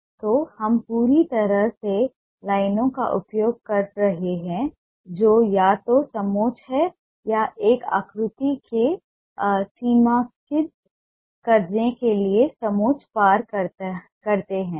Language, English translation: Hindi, so we are absolutely use lines which are either contour or cross contour to delineate a shape